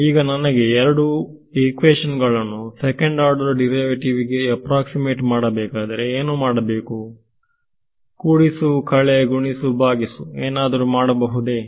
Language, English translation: Kannada, So, now if I want to approximate the second order derivative what do I do to these two equations, add subtract multiply divide whatever I do